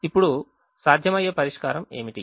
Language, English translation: Telugu, now, what is a feasible solution